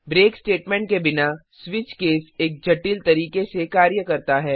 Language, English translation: Hindi, without the break statement, the switch case functions in a complex fashion